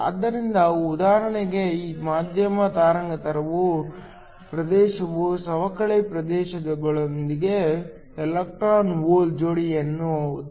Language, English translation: Kannada, So, For example, the medium wavelength region generates an electron hole pair within the depletion region